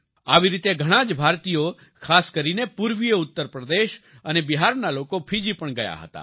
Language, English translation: Gujarati, Similarly, many Indians, especially people from eastern Uttar Pradesh and Bihar, had gone to Fiji too